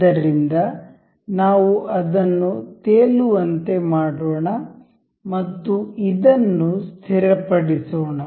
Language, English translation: Kannada, So, let us just make it floating and make this fixed